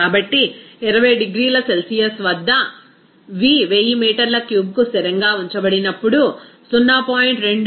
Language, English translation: Telugu, 210 atmosphere when V is kept as 1000 meter cube as constant at 20 degree Celsius